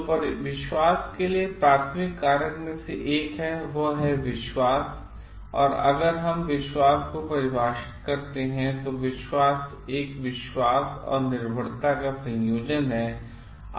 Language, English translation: Hindi, So, one of the primary factor for trust is of all this thing is trust and if we define trust, trust is a combination of confidence and reliance